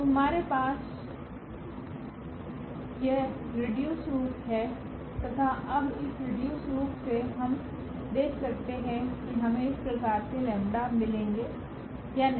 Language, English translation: Hindi, So, we have this reduced form here and now what we will observe out of this reduced form whether we can get such lambdas or we cannot get such lambdas now